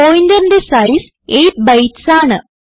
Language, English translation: Malayalam, Then the size of pointer is 8 bytes